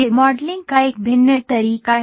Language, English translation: Hindi, So, this is a variant method of modeling